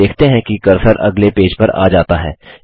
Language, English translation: Hindi, You see that the cursor comes on the next page